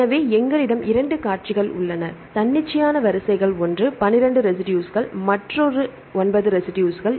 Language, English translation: Tamil, So, we have 2 sequences, arbitrary sequences one is 12 residues, another nine residues